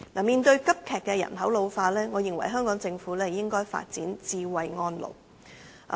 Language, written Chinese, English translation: Cantonese, 面對急劇的人口老化，我認為香港政府應該發展"智慧安老"。, In the face of a rapidly ageing population I think the Hong Kong Government should develop smart elderly care services